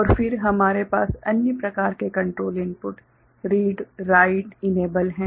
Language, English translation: Hindi, And then we have the other kind of you know control inputs in the form of read, write, enable